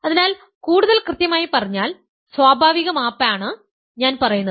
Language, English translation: Malayalam, So, in other words to be more precise; to be more precise what I am saying is the natural map